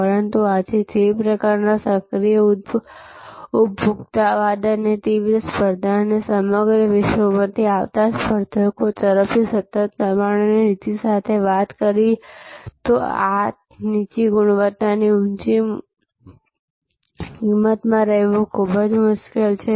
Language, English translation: Gujarati, But, really speaking today with the kind of active consumerism and intense competition and continues pressure and policy from competitors coming from all over the world, it is very difficult today to be in this low quality high price